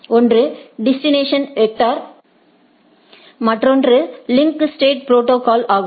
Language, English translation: Tamil, One is distance vector, another is link state protocol